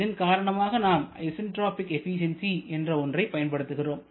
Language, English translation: Tamil, And accordingly we define something known as the isentropic efficiency